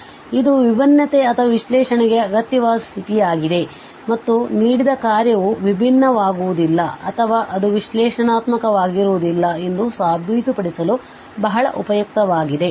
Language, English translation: Kannada, So this are the necessary condition for differentiability or analyticity and very useful for proving that the given function is not differentiable or it is not an analytic